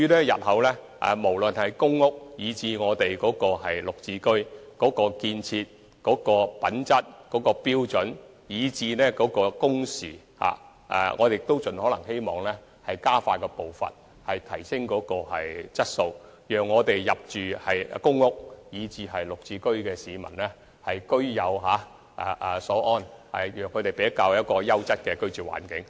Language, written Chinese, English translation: Cantonese, 日後無論是公屋或"綠置居"，在建築質素及工程時間方面，我們都希望盡可能加快步伐、提升質素，讓入住公屋和"綠置居"單位的市民居有所安，為他們提供優質的居住環境。, In future we will try our best to improve building quality and speed up works progress for both PRH and GSH developments so as to provide PRH and GSH residents with a comfortable home and a quality living environment